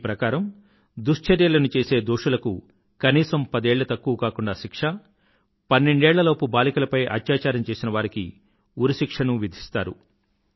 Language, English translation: Telugu, Those guilty of rape will get a minimum sentence of ten years and those found guilty of raping girls below the age of 12 years will be awarded the death sentence